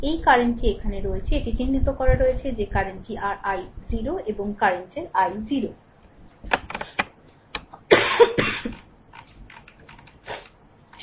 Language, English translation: Bengali, This current is here it is marked that this current is your i 0 here the current is i 0 right so, let me clear it